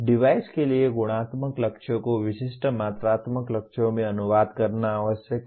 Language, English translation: Hindi, It is necessary to translate the qualitative goals for the device into specific quantitative goals